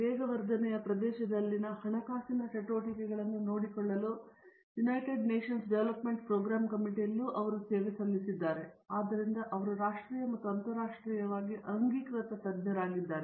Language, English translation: Kannada, He has also served in the United Nations development program committee for looking at funding activities in the area of catalysis and so he is both a national as well as an internationally accepted expert